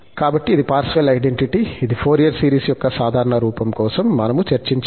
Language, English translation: Telugu, So, this was the Parseval's identity, which we have discussed for the normal form of the Fourier series